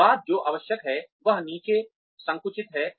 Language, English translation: Hindi, After, what is required is narrowed down